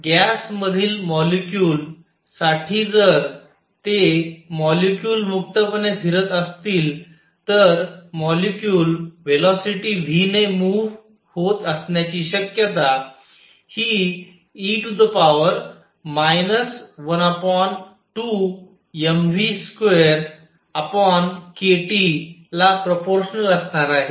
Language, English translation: Marathi, So, for molecules in a gas if they are freely moving the probability that that a molecule is moving with velocity v is going to be proportional to e raised to minus energy one half m v square over k T